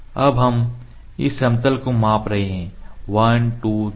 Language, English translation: Hindi, So, we are measuring a this plane at an angle 1 2 3 ok